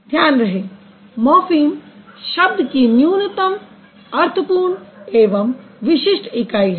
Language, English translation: Hindi, So, remember, morphems are the minimal, meaningful, distinctive unit of a word